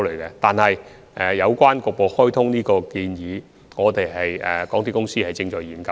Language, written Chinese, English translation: Cantonese, 然而，就沙中線局部開通的建議，港鐵公司現時正在研究中。, Nonetheless concerning the proposal of partial commissioning of SCL it is now being studied by MTRCL